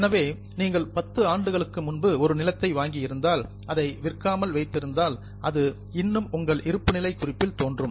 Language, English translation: Tamil, So, if you purchase some land 10 years before, it will continue to appear in balance sheet today unless you have sold it